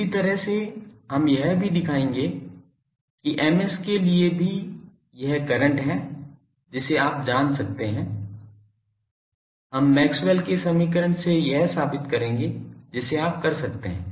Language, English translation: Hindi, Similar way we will show that for Ms also this is the current you can find out, we will from Maxwell’s equation we will prove that this you can do